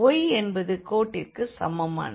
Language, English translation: Tamil, So, here r is equal to 2